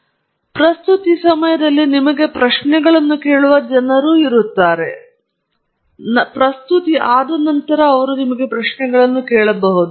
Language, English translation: Kannada, It’s typically very interactive; there are people who will ask you questions during the presentation, they may ask you questions after the presentation and so on